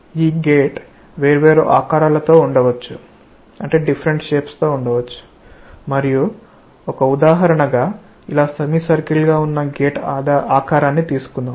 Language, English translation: Telugu, This gate may be of different shapes and let us take an example with the gate shape as a semicircular one like this